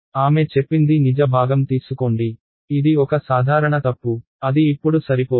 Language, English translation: Telugu, She says take the real part ok, common mistake; now that is not enough